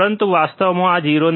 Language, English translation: Gujarati, But in reality, this is not 0